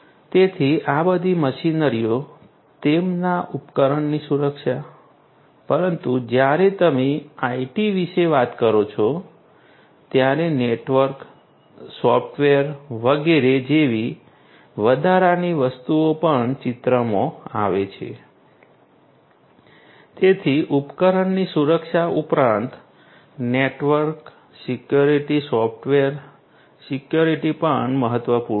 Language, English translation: Gujarati, So, all these machinery, their device security, but when you talk about IT additional things such as the network, the software, etcetera also come into picture; so, network security, software security, addition additionally in addition to the device security are also important